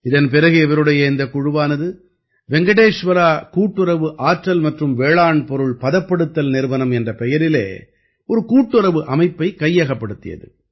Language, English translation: Tamil, After this his team took over the management of a cooperative organization named Venkateshwara CoOperative Power &Agro Processing Limited